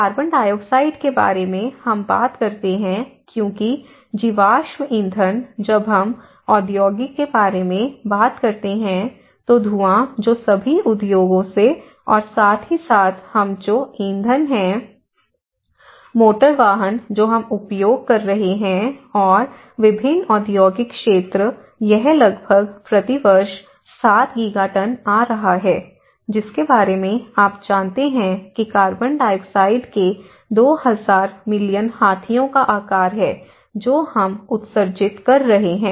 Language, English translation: Hindi, And then the CO2, the carbon dioxide which we talk about because the fossil fuels when we talk about industrial, then smoke which is coming from all the industries and as well as the fuels which we are; I mean the motor vehicles which we are using and various industrial sectors which were so, it is almost coming about 7 Giga tons per year which is about you know 2000 million elephants size of the carbon dioxide which we are emitting